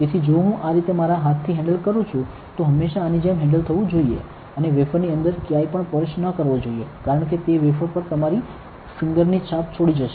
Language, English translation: Gujarati, So, if I am handling with my hand like this should always be handled like this and do not touch anywhere inside the wafer because that will leave your fingerprint mark on the wafer